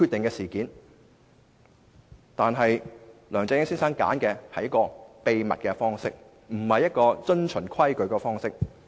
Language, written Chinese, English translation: Cantonese, 可是，梁振英先生卻選擇以秘密的方式，不遵從規矩行事。, Nevertheless Mr LEUNG Chun - ying had opted for a clandestine way instead of following the established rules